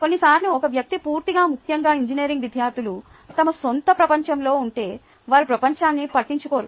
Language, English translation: Telugu, sometimes, if a person is completely, especially engineering students, are in the world of their own, they shut out everybody else, and so on and so forth